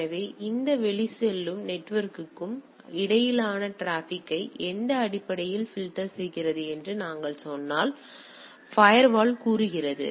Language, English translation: Tamil, So, firewall say if we if I say that it filters traffic between this outgoing and internet on what basis